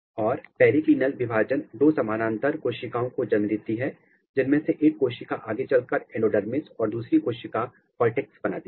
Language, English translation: Hindi, And, this periclinal division give rise to two cells parallel cells and one cells then it continues making endodermis another cells it start making cortex